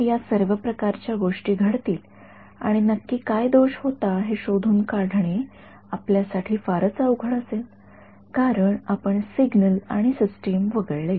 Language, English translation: Marathi, So, all these kinds of things will happen and it will be very hard for you to debug what exactly happened because you skipped signals and systems